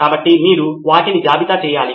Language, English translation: Telugu, So you need to list them